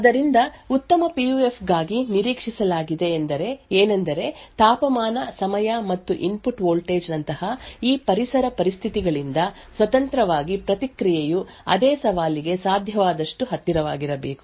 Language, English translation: Kannada, So, what is expected for a good PUF is that independent of these environmental conditions like temperature, time and input voltage, the response should be as close as possible for the same challenge